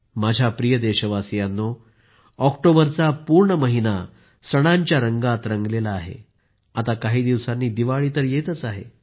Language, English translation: Marathi, the whole month of October is painted in the hues of festivals and after a few days from now Diwali will be around the corner